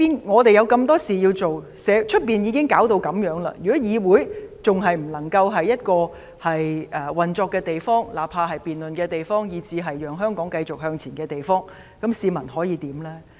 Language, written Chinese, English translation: Cantonese, 我們有這麼多事情要做，外面已弄成這樣，如果議會仍然是一個不能運作的地方，不論作為辯論的地方或讓香港繼續向前的地方，試問市民可以怎樣呢？, We have such a lot of work to do and things are already in such a sorry state out there . If this Council remains inoperable whether as a place for debate or one to usher Hong Kong forward tell me what can the public do?